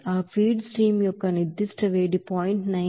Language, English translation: Telugu, And you know that specific heat of that feed stream is 0